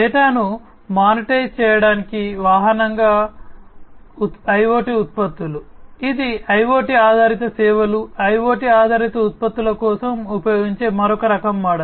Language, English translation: Telugu, IoT products as a vehicle to monetize data; this is another type of model that is used for IoT based services IoT based products